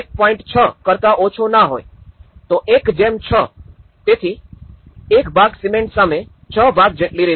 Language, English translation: Gujarati, 6 okay, 1:6, so for 1 cement and 6 part of the sand